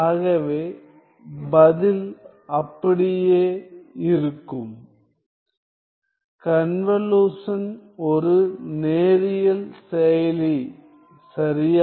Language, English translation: Tamil, So, the answer will be the same then, convolution is a linear operator right